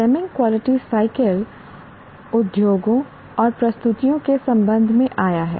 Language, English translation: Hindi, Deming's quality cycle has come with respect to industrial industries and production and so on